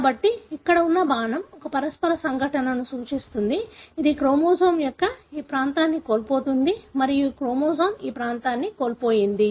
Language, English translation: Telugu, So, the arrow here represents a mutational event which results in loss of this region of the chromosome and this chromosome has lost this region